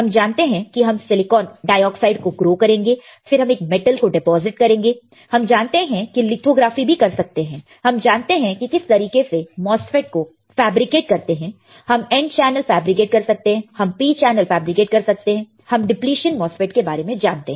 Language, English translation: Hindi, We know how we can grow silicon dioxide, we know how we can deposit a metal, we know how we can do lithography, we know how a MOSFET is fabricated, we can fabricate n channel, we can fabricate a p channel, we know the depletion MOSFET